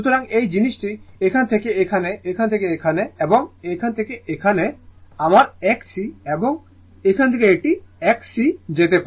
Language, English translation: Bengali, So, this thing from here to here , from here to here right, from here to here this is my X L and from here to here this is an X C